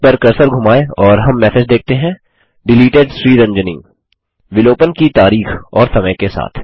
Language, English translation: Hindi, Hover the cursor over it and we see the message Deleted Ranjani: followed by date and time of deletion